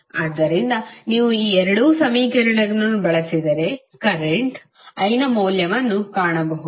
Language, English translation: Kannada, So, if you use these 2 equations you can find the value of current I